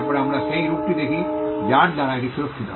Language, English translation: Bengali, Then we look at the form by which it is protected